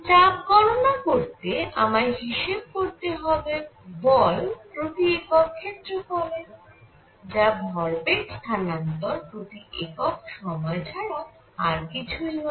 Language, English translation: Bengali, Now, for pressure what I need to calculate is force per unit area which is nothing, but momentum transfer per unit time; per unit area